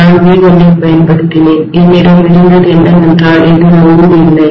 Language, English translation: Tamil, And I have applied V1 and what I was having is I naught this was under no load, right